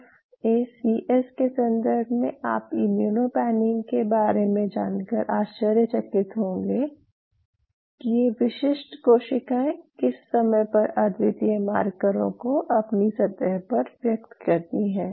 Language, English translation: Hindi, As a matter of FACS you will be surprised to know regarding this immuno panning if you really know at what point of time these specific cells express unique markers on their surface